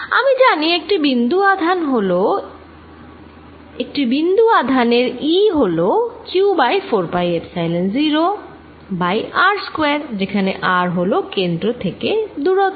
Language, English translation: Bengali, now i know for a point: charge e is q over four pi epsilon zero one over r square, where r is a distance from the center